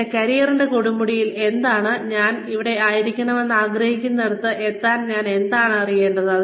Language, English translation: Malayalam, What do I need to know, in order to reach, where I want to be, at the peak of my career